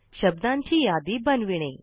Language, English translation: Marathi, Create your own list of words